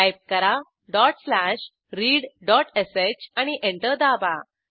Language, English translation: Marathi, Typedot slash read.sh press Enter